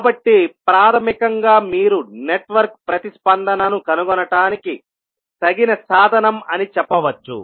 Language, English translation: Telugu, So, basically you can say that this is a fitting tool for finding the network response